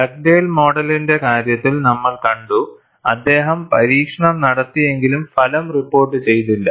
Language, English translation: Malayalam, We had seen in the case of Dugdale model; he had performed the experiment, but he did not report the result